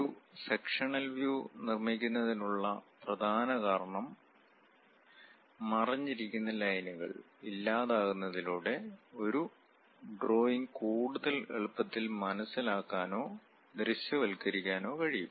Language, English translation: Malayalam, The main reason for creating a sectional view is elimination of the hidden lines, so that a drawing can be more easily understood or visualized